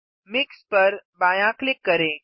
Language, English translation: Hindi, Left click Mix